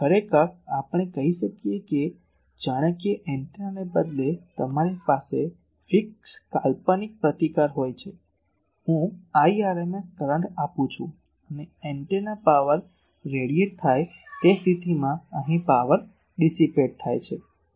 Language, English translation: Gujarati, Now, actually we can say that as if instead of an antenna you have a fix fictitious resistance, I am giving I rms current and power is dissipated here in case of antenna power is radiated